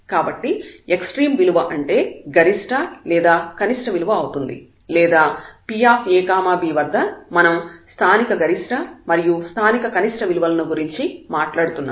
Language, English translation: Telugu, So, extreme value means the maximum and the minimum value or rather the local we are talking about local maximum and local minimum values of it at this point p